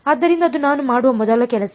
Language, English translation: Kannada, So, that is the first thing I will do